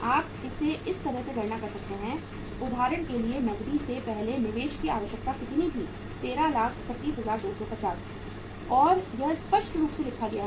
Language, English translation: Hindi, You can calculate it like this for example the investment requirement before cash was how much 13,31, 250 and it is the it is written clearly